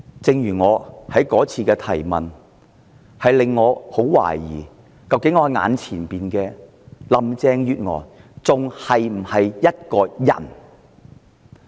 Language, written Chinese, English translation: Cantonese, 正如我那次提出質詢時所說，我十分懷疑，究竟我眼前的林鄭月娥是否仍是人？, As I pointed out in the question I put previously I genuinely question whether Carrie LAM is still a human being